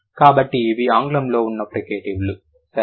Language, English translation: Telugu, So, these are the fricatives in English